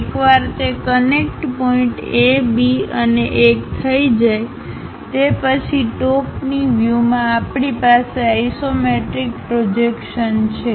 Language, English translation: Gujarati, Once it is done connect point A, B and 1 in the top view we have that isometric projection